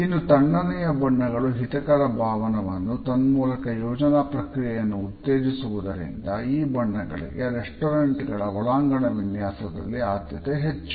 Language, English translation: Kannada, On the other hand, cool colors produce an effect which is soothing and they stimulate thinking and therefore, they are preferred in the interior decoration of restaurants